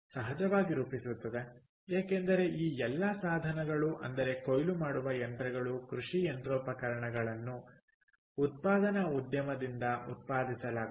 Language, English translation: Kannada, of course, because all these tools, the harvesters, the, the machines, agricultural machinery are all produced by the manufacturing industry